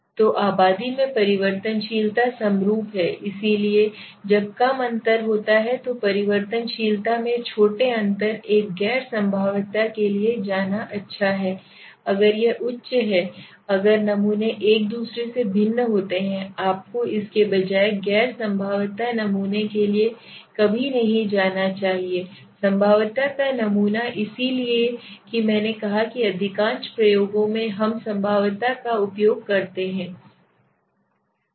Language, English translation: Hindi, So variability in the populations it is homogenous so the when there is low differences there is a small differences in the variability it is good to go for a non probability if it is high if the samples are different from each other you should never go for non probability sampling rather than probability sampling so that why I said that in most of the experiments we use the probabilistic sampling right